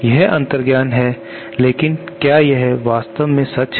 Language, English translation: Hindi, That is the intuition off course but is it true in reality